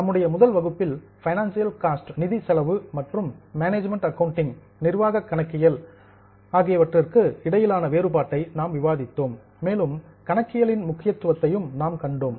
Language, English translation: Tamil, In our first session we had discussed the distinction between financial cost and management accounting and we had also seen the importance of accounting